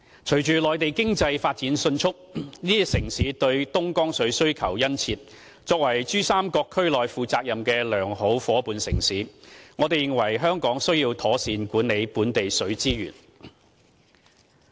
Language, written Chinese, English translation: Cantonese, 隨着內地經濟發展迅速，這些城市對東江水需求殷切，作為珠三角區內負責任的良好夥伴城市，我們認為香港須要妥善管理本地水資源。, Along with the rapid economic development on the Mainland these cities have large demand for Dongjiang water . We think that Hong Kong as a responsible good partner city in the Pearl River Delta Region should properly manage local water resources